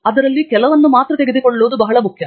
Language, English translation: Kannada, Its very important to pick only few that are very important